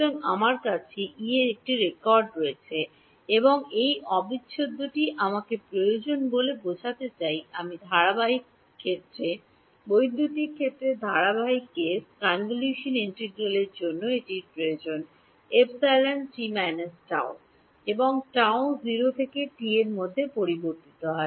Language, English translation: Bengali, So, I have a record of E and this integral needs me to have I mean look at the continuous case electric field continuous case convolution integral it needs E of t minus tau and tau is varying from 0 to t